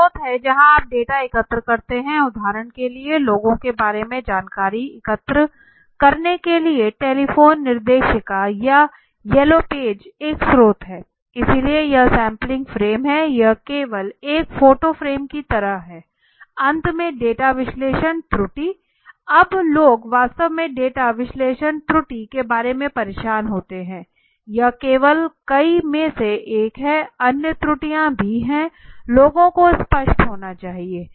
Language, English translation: Hindi, Is a source from where you collect the data right for example to collect the information about people and directory telephone directory could a source right it yellow page it could be a source right so that is what is a sampling frame it is like a photo frame only right, finally the data analysis error now you most of the people are actually bothered about the data analysis error now this is only one out of it out of the many so there are other errors also one has to be very clear, so data analysis error for example